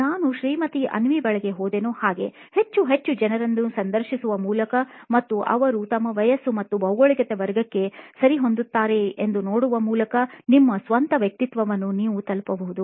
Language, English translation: Kannada, Like how I arrived at Mrs Avni,, you can arrive at your own persona by interviewing more and more people and seeing if they sort of fit into our age category and the geography category